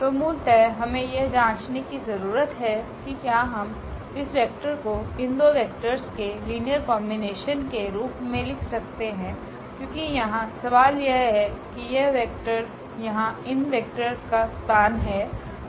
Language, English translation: Hindi, So, what do we need to check basically can we write this vector as a linear combination of these two vectors because this is the question here that is this vector in the span of the vectors of this